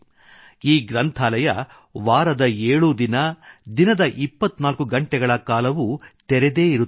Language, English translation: Kannada, This library is open all seven days, 24 hours